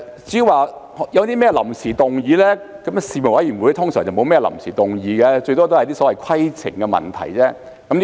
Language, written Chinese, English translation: Cantonese, 至於臨時議案，事務委員會一般不會有臨時議案，最多只有一些規程問題。, As for motions without notice panels normally do not have these motions and at most there are only some points of order